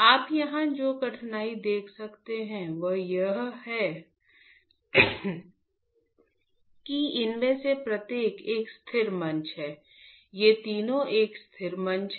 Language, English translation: Hindi, The difficulty that you can see here is that each of these is a static platform, all three of these is a static platform